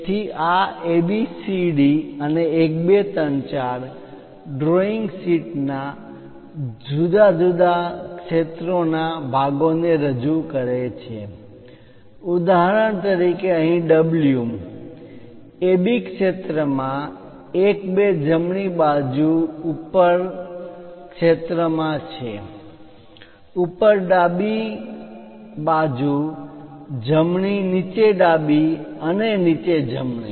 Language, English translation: Gujarati, So, this A B C D 1, 2, 3, 4 represents the different areas parts of the drawing sheet for example, here W is in A B zone in 1 2 zone on the top right side top left top right bottom left and bottom right